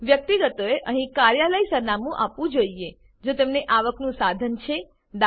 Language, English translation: Gujarati, Individuals should give Office Address here, if they have a source of income e.g business or profession